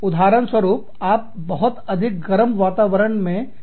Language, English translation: Hindi, You are functioning in a very warm climate